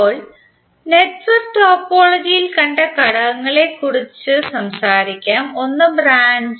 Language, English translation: Malayalam, Now let us talk about the elements which we just saw in the network topology, one is branch